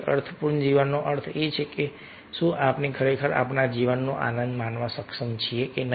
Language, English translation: Gujarati, meaningful life, meaningful life means whether really we are able to enjoy our life or not